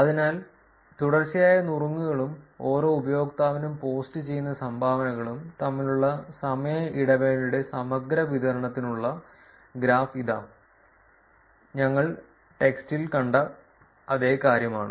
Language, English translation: Malayalam, So, here is the graph for cumulative distribution of time interval between consecutive tips and dones posted per user, it's the same thing as what we saw in the text